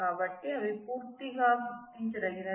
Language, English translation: Telugu, So, they are distinguishable completely by that